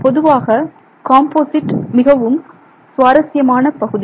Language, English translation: Tamil, Composites in general is itself a very interesting area